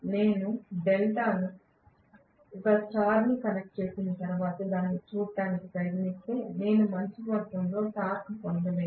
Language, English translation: Telugu, But if I try looking at it after connecting delta a star I am not going to get a good amount of torque